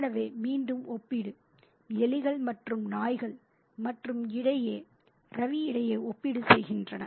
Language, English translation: Tamil, So, again the comparison is between rats and dogs and Ravi